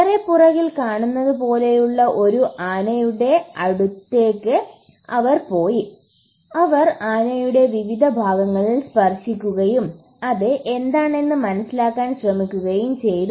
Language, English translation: Malayalam, They went close to an elephant like the one you see behind me and they touched different parts of the elephant and tried to figure out what it was